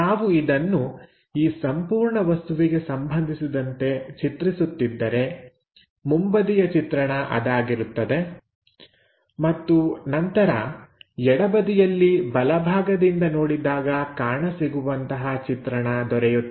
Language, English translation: Kannada, So, if we are drawing this one for this entire object, the front view will be that and then, left side towards right direction, we are trying to look at